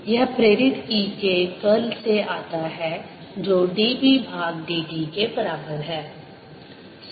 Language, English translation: Hindi, this comes from: curl of e induced is equal to minus d b by d t